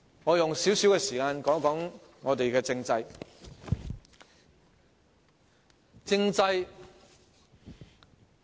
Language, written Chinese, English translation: Cantonese, 我用少許時間談談香港的政制。, I will spend a little time to talk about the Hong Kong constitutional system